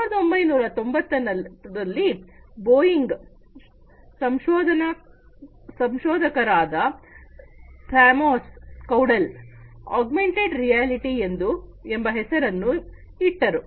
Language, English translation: Kannada, In the 1990s, Boeing researcher, Thamos Caudell coined the term augmented reality